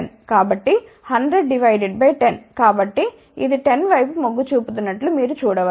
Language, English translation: Telugu, So, you can see that it is tending towards 10